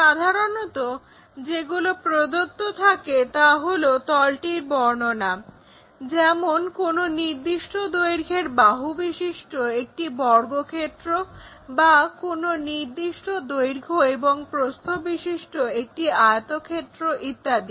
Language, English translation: Bengali, So, usually what is given is description over the plane figure is something like a square of so and so side or perhaps a rectangle of length this and breadth that